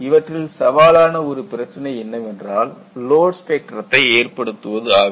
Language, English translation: Tamil, And one of the most challenging part is, how to establish a load spectrum